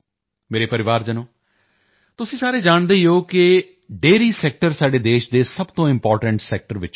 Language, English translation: Punjabi, My family members, you all know that the Dairy Sector is one of the most important sectors of our country